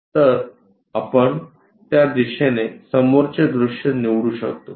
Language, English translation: Marathi, So, we can pick front view as this direction